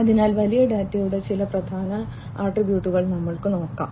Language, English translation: Malayalam, So, let us look at some of the key attributes of big data